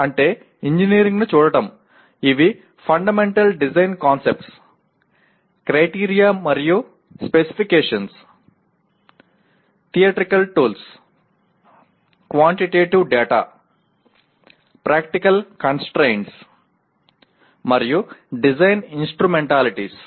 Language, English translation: Telugu, That means looking at engineering per se these are Fundamental Design Concepts; Criteria and Specifications; Theoretical Tools; Quantitative Data; Practical Constraints and Design Instrumentalities